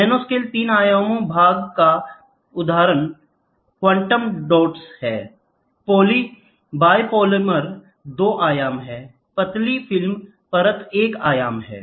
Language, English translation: Hindi, Nanoscale three dimension part example is quantum dots; biopolymers are two dimension thin film layer is one dimension